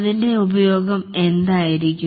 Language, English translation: Malayalam, What will be its use